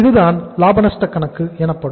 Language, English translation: Tamil, So this is the profit and loss account